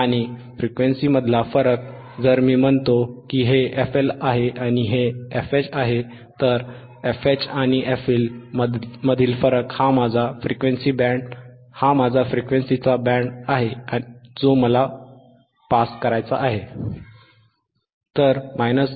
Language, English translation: Marathi, And the difference between frequencies, if I say this is f L and this is f H, then a difference between f H and f L, this is my band of frequencies that I want to pass, alright